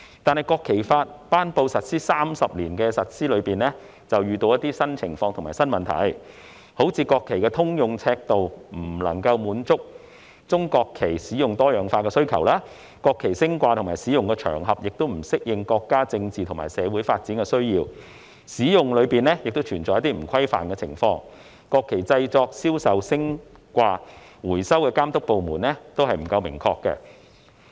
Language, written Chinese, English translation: Cantonese, 然而，在實施《國旗法》的30年間，遇到一些新情況和新問題，例如國旗的通用尺度未能滿足中國國旗多樣化使用的需求；國旗升掛和使用的場合已不適應國家政治和社會發展的需要；就國旗的使用，存在一些欠缺規範的情況；及負責國旗製作、銷售、升掛丶回收的監督管理部門不明確等。, During the three decades since the implementation of the National Flag Law however some new situations and new problems have emerged . For example the common sizes of the national flag failed to meet the needs for diversified uses of the national flag of PRC the occasions for the raising and use of the national flag no longer suit the needs of our countrys political and social development the problem of lack of regulation over the use of the national flag on some occasions does exist the departments responsible for the making sale raising and recovery of the national flag have yet to be made clear and so forth